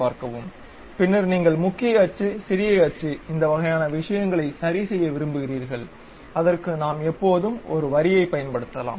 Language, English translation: Tamil, Then, you want to adjust the major axis, minor axis these kind of thing, then we can always we can always use a Line